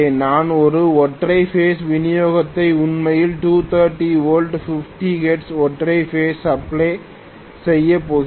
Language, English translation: Tamil, I am going to have a single phase supply which is actually 230 volts, 50 hertz, single phase supply